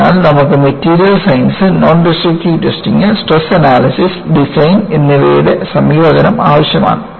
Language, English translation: Malayalam, So, you need to have combination of Material Science, Non Destructive Testing, Stress Analysis and Design